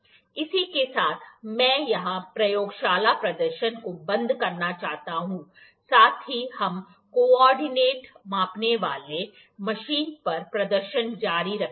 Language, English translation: Hindi, With this, I like to close here the laboratory demonstration, also we will continue with the demonstration on the co ordinate measuring machine